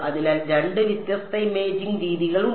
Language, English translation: Malayalam, So, there are two different imaging modalities right